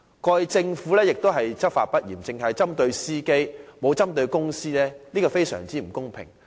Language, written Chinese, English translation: Cantonese, 過去政府執法不嚴，只針對司機而沒有針對公司，實在非常不公平。, In the past the Government was lax in law enforcement and only targeted at the drivers but not the companies which was extremely unfair